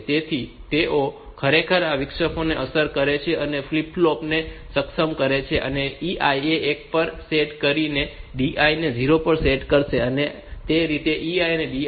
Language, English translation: Gujarati, So, they actually affect this interrupt enable flip flop and by setting EI will set it to one and DI will set it to 0 that way this EI and DI will occur